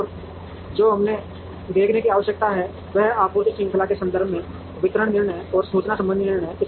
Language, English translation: Hindi, And what we need to see are distribution decisions, and information related decisions in the context of a supply chain